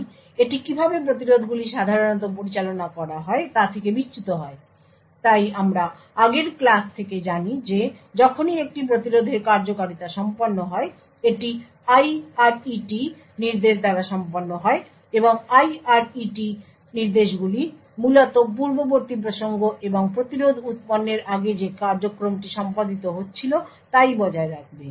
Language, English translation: Bengali, So this deviates from how interrupts are typically managed so as we know from earlier classes that whenever an interrupt completes it execution this is done by the IRET instruction and the IRET instructions would essentially enforce the previous context and the program which was executing prior to the interrupt occurring but continue to execute